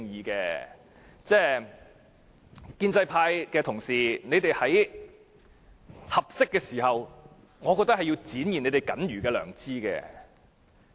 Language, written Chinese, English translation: Cantonese, 各位建制派的同事，我認為你們也應在合適的時候展現你們僅餘的良知。, Fellow Members of the pro - establishment camp I think you should also act according to that little bit of conscience left with you at an appropriate time